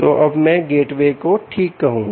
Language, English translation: Hindi, ok, so now i will say gateway, alright